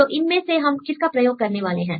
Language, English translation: Hindi, So, which one we need to use